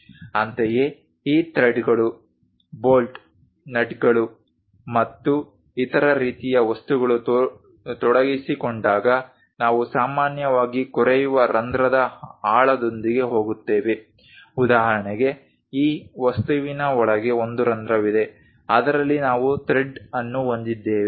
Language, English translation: Kannada, Similarly whenever these threads bolts nuts and other kind of things are involved, we usually go with depth of the drilled hole for example, for this object inside there is a hole in which you have a thread